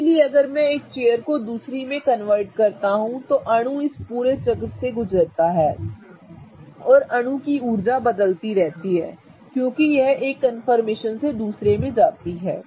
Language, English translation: Hindi, Okay, so if I go on interconverting the chair from one chair to another, the molecule goes through this entire cycle and the energy of the molecule keeps on changing as it goes from one conformer to another